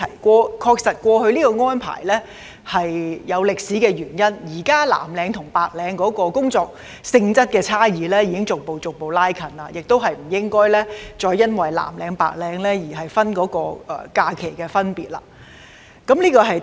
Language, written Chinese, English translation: Cantonese, 過去作出這項安排確實有歷史原因，但現時藍領與白領的工作性質差異已逐步拉近，我們亦不應該再因藍領和白領的分別而對他們的假期作出區分。, There were indeed historical reasons for making this arrangement in the past but the differentiation in the job nature between blue - collar and white - collar work has become less distinct gradually . There should no longer be any disparity between the numbers of holidays for blue - collar and white - collar workers arising from such differentiation